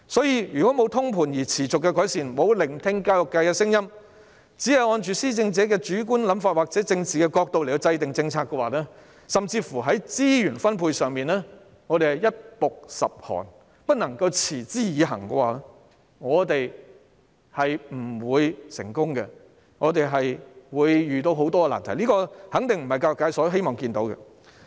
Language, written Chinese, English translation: Cantonese, 如果沒有通盤而持續的改善，沒有聆聽教育界的聲音，只按着施政者的主觀想法或政治角度來制訂政策，甚至在資源分配上，一暴十寒，不能持之以恆的話，我們是不會成功的，我們會遇到很多難題，這肯定不是教育界希望看到的情況。, If the policy is formulated merely in accordance with the subjective thinking or political perspective of the Administration without comprehensive and continuous improvement or listening to the voices of the education sector while resource allocation is sporadic and unsustainable we will never succeed . We will run into loads of difficulties . This is definitely not what the education sector wishes to see